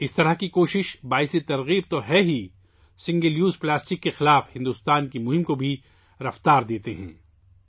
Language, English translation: Urdu, Such efforts are not only inspiring, but also lend momentum to India's campaign against single use plastic